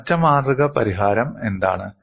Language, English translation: Malayalam, And what is the closed form solution